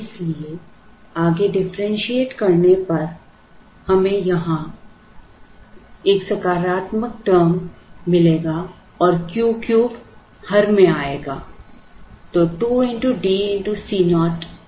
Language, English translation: Hindi, So, on further differentiation we will get a positive term here and Q cubed will come in the denominator